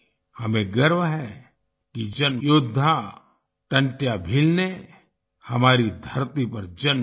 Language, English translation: Hindi, We are proud that the warrior Tantiya Bheel was born on our soil